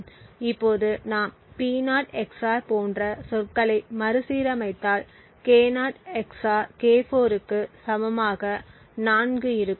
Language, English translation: Tamil, Now if we just rearrange the terms we have like P0 XOR would be 4 to be equal to K0 XOR K4